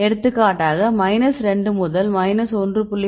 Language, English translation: Tamil, For example, if you see minus 2 to minus 1